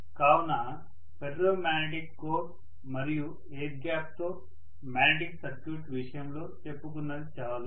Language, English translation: Telugu, So, so much so for the case of magnetic circuit with ferromagnetic core and air gap